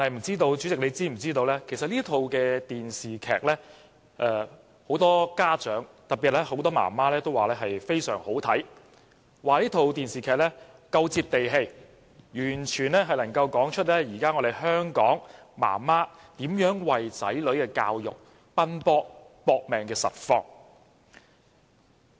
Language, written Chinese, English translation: Cantonese, 主席，其實很多家長，特別是很多媽媽，都說這齣電視劇非常好看，因為它非常"接地氣"，完全能夠道出現今香港的媽媽為子女教育奔波、"搏命"的實況。, President many parents especially the mothers are singing praises for this drama because they consider it a down - to - earth depiction of how Hong Kong mothers of today will go to extreme lengths for their childrens education . The parents in this drama arrange their young children to study in two different kindergartens so that they stand a better chance of getting into an elite primary school